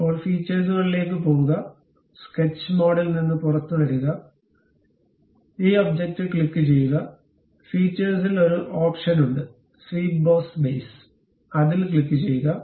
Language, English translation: Malayalam, Now, in that go to features, come out of sketch mode, click this object; there is an option in the features swept boss base, click that